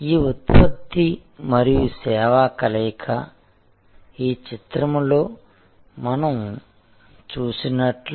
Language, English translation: Telugu, So, this product and service fusion as we saw in this picture